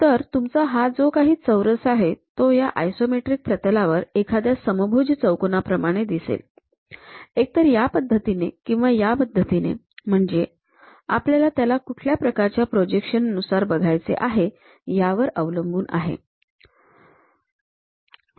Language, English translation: Marathi, So, your square on that isometric plane looks like a rhombus, either this way or that way based on which kind of projections we are trying to look at